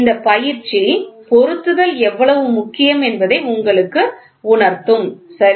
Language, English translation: Tamil, This exercise will give you a feel how important is fits, ok